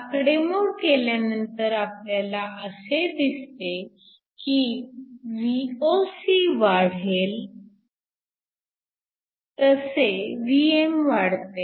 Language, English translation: Marathi, If you do the calculation, we find that Vm will increase as Voc increases